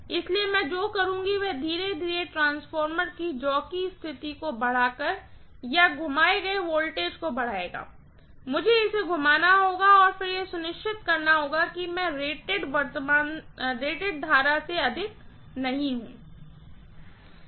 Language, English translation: Hindi, So, what I will do is slowly increase the voltage applied by increasing the jockey position of the transformer or rotate, I have to rotate it and then make sure that I don’t exceed the rated current